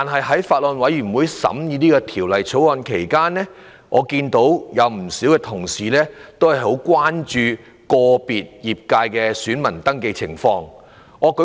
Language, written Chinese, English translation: Cantonese, 在法案委員會審議《條例草案》期間，不少同事均十分關注個別界別的選民登記情況。, During the scrutiny of the Bill by the Bills Committee many Honourable colleagues were gravely concerned about voter registration for individual constituencies